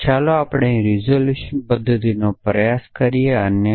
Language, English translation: Gujarati, So, let us try and do the resolution method here